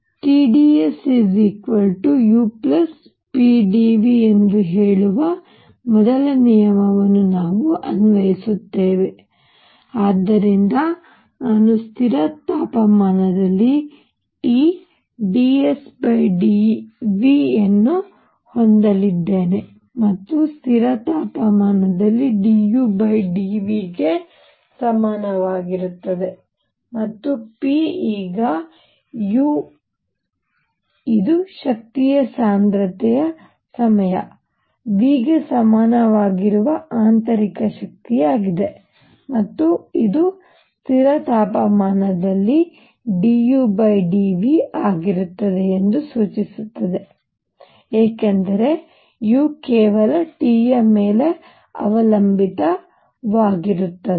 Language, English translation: Kannada, We apply the first law which says T dS is equal to d U plus p d V, alright and therefore, I am going to have T dS by d V at constant temperature is equal to d U by d V at constant temperature plus p now U is the internal energy which is equal to the energy density times V and this implies that d U by d V at constant temperature is going to be U because U depends only on T